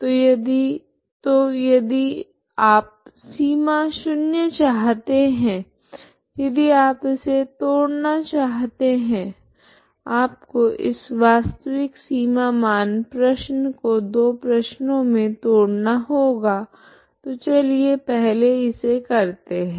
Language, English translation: Hindi, So if you want zero boundary so zero initial conditions if you want you have to break this you have to break this actual boundary value problem into two problems, okay so let us do this first